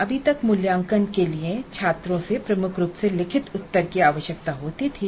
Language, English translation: Hindi, Assessment until recently required dominantly written responses from the students